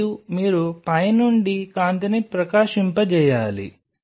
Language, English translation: Telugu, And you have to shining the light from the top